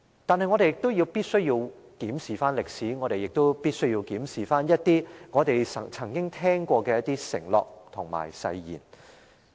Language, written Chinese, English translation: Cantonese, 但是，我們必須檢視歷史，也必須檢視一些我們曾經聽過的承諾及誓言。, However we need to look back at history and have a review of some promises and undertakings made in the past